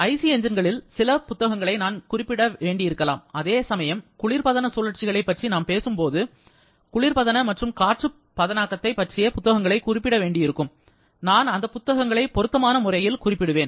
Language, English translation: Tamil, Then, I may have to use or refer to some books of IC engines, whereas while talking about the refrigeration cycles are may have to refer to the books of refrigeration and air conditioning so, I shall be referring to those books suitably